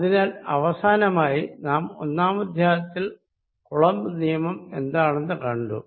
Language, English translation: Malayalam, So, to conclude, what we have learnt in this chapter one, is Coulomb’s law